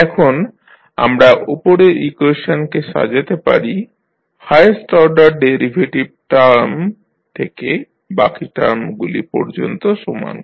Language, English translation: Bengali, Now, let us arrange the above equation by equating the highest order derivative term to the rest of the terms